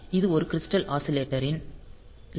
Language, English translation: Tamil, So, you can connect some crystal oscillator here